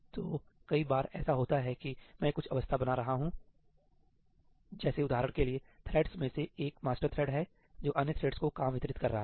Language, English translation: Hindi, there are lots of times that I am maintaining some state, right; for instance, one of the threads is the master thread which is distributing work to the other threads